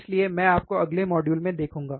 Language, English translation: Hindi, So, I will see you in next module